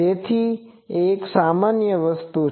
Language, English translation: Gujarati, So, this is a general thing